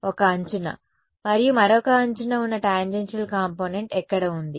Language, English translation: Telugu, On one edge and the tangential component on the other edge is where